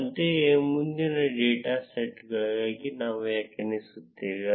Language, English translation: Kannada, Similarly, we would define for the next data set